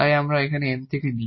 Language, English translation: Bengali, So, this here is M